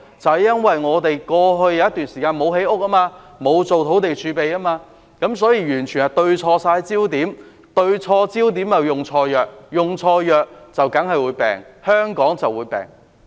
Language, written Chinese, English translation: Cantonese, 正因為過去一段時間，我們沒有建屋，沒有建立土地儲備，完全對錯焦點，對錯焦點便用錯藥，用錯藥香港當然會生病。, This is due to the absence of housing construction and land reserve in the past period of time . The Government had an utterly wrong focus and thus applied the wrong remedy and that is why Hong Kong has been sick